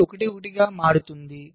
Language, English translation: Telugu, this also becomes one